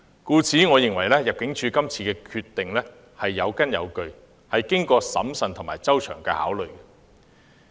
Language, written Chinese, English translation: Cantonese, 故此，我認為入境處今次的決定是有根有據，是經過審慎和周詳考慮。, Hence I think the ImmDs decision was well grounded and made after due and careful consideration